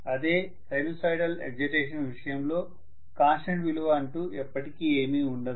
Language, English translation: Telugu, So sinusoidal excitation if I have there is nothing like a constant value, never ever